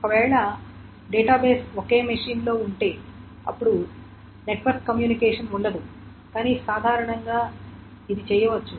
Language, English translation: Telugu, If however the database is in the same machine then there is no network communication but in general it can be done